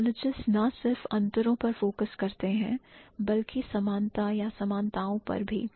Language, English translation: Hindi, So, typologies not only focus on differences but also the commonalities or the similarities